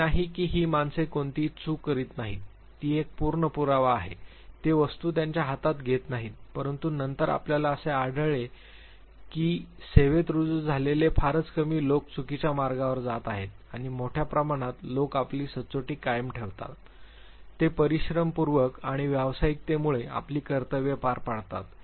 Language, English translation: Marathi, It is not that it is a full proof thing that these people do not commit any mistake; they do not take things in their hand, but then you find it very few people who have been inducted in to the service goes on the wrong track by and large people retain their integrity, they perform their duties to due diligence and professionalism